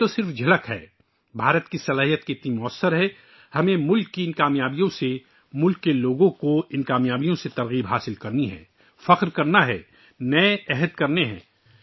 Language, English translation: Urdu, This is just a glimpse of how effective India's potential is we have to take inspiration from these successes of the country; these achievements of the people of the country; take pride in them, make new resolves